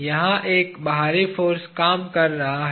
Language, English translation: Hindi, There is an external force acting here